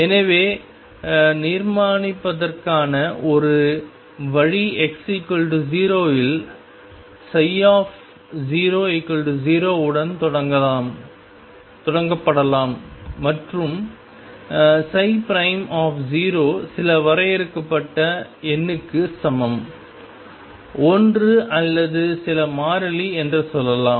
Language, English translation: Tamil, So, one way of constructing could be start at x equal to 0 with psi 0 equals 0 and psi prime 0 equals some finite number let us say 1 or some constant